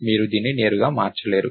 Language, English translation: Telugu, You cannot manipulate it directly